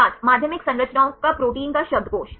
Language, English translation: Hindi, Dictionary of Secondary Structure of Proteins